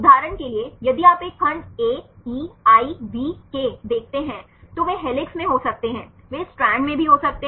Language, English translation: Hindi, For example, if you see a segment AEIVK, they can be in helix, they can also be in the strand